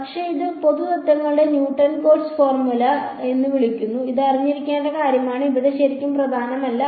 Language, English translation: Malayalam, But, these general set of principles they are called Newton Cotes formula ok, this is something to know does not really matter over here